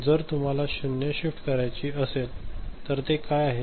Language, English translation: Marathi, So, if you want to have a zero shift ok, so what is it